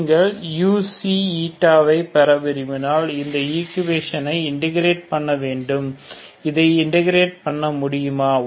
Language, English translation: Tamil, So if you want to get U Xi eta so you have to integrate this equation, can we integrate this